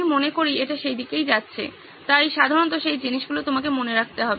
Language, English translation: Bengali, I think it is going in that direction, so usually that is the things that you have to keep in mind